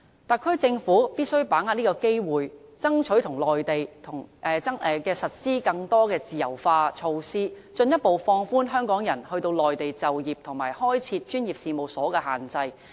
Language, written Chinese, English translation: Cantonese, 特區政府必須把握機會，爭取內地實施更多自由化措施，進一步放寬香港人到內地就業及開設專業事務所的限制。, The SAR Government must seize this opportunity to strive for more liberalization measures in the Mainland so as to further relax the restrictions on Hong Kong people in working and setting up professional firms in the Mainland